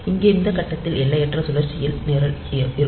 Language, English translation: Tamil, So, it is in an infinite loop at this point